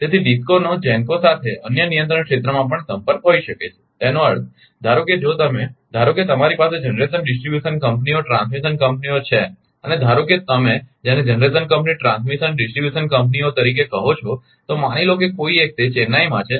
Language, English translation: Gujarati, So, a DISCO may have a contact with a GENCO in another control area also; that means, suppose suppose suppose ah if you if you take suppose you have a generation distribution companies, transmission companies and, suppose your what you call ah that generation company, transmission and distribution companies suppose one having in Chennai right